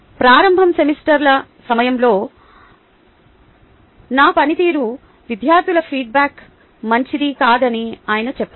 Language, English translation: Telugu, he says that during early semesters my performance that a student feedback was not good